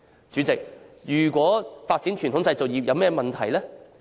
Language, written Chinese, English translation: Cantonese, 主席，發展傳統製造業有甚麼問題？, President what is wrong with the development of the traditional manufacturing industries?